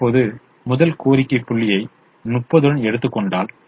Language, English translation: Tamil, now, if you take the first demand point with thirty